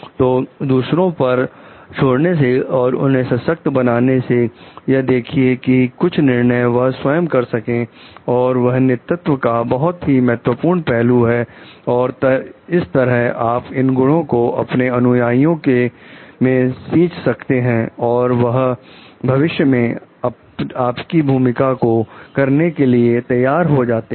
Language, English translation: Hindi, So, relying on others and making them, empowering them for some decision making these are very important aspects of leadership, and that is how you like nurture these qualities in your followers also, and they become ready to take up your role in future